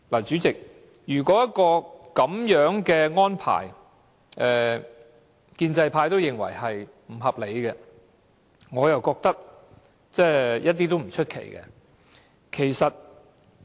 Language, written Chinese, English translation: Cantonese, 主席，如果建制派認為這樣的安排不合理，我覺得也不足為奇。, President I will not be surprised if the pro - establishment camp thinks that such an arrangement is unreasonable